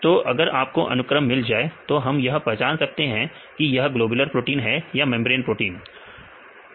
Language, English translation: Hindi, So, if we see can get a sequence you can identify where is the globular proteins or it is a membrane proteins you can see that, right